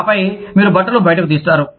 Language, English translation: Telugu, And then, you would take the clothes out